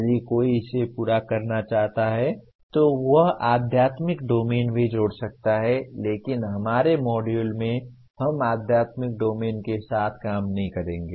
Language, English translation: Hindi, If one wants to complete this he can also add spiritual domain but in our module we are not going to be dealing with spiritual domain